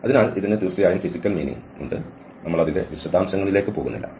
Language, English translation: Malayalam, So it has physical meaning of course, we are not going to the details of that